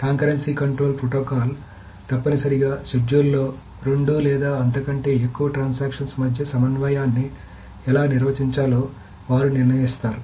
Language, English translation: Telugu, So, concurrency control protocols are essentially that is what they decide how to manage the concurrency between two or more transactions in a schedule